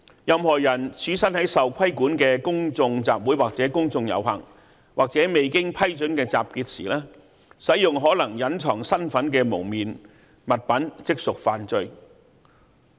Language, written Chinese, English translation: Cantonese, 任何人身處受規管的公眾集會或公眾遊行，或未經批准的集結時，使用可能隱藏身份的蒙面物品，即屬犯罪。, It is therefore an offence if any person uses a facial covering which prevents identification at a public meeting or public procession or unlawful or unauthorized assembly